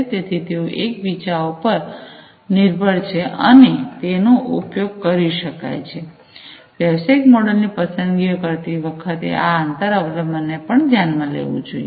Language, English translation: Gujarati, So, they depend on each other, and they can be used, you know, the choice of the business models should consider this inter dependency as well